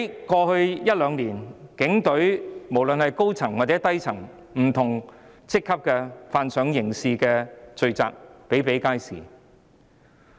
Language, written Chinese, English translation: Cantonese, 過去一兩年，在警隊中不論是高層或低層，不同職級人員犯上刑事罪的個案比比皆是。, In the past couple of years cases of criminal offences committed by senior or junior officers of different ranks in the Police were common